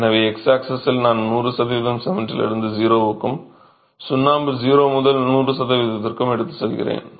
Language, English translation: Tamil, So, on the x axis I go from 100 percentage of cement to 0 and lime from 0 to 100%